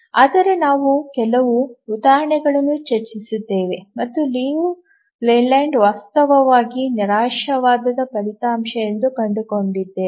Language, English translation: Kannada, But we just throw some example, found that Liu Leyland is actually a pessimistic result